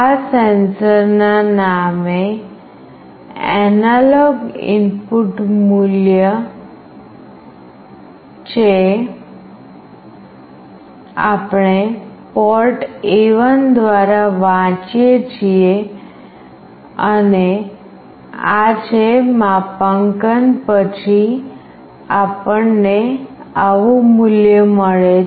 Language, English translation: Gujarati, This is the analog input value in the name of sensor, we are reading through port A1 and this is after calibration, we get a value like this … value is 297